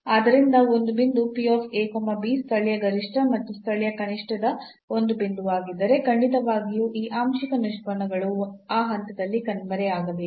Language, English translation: Kannada, So, if a point a b is a point of local maximum or local minimum, then definitely these partial derivatives must vanish at that point